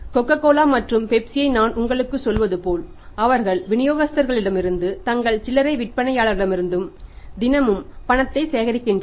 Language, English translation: Tamil, It means as I am telling you Coca Cola and Pepsi they collect the cash everyday from their distributors from their retailers